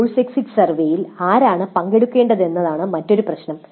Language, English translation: Malayalam, And another issue is that who should participate in this course exit survey